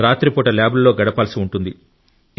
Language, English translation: Telugu, You must be spending many an overnight in the lab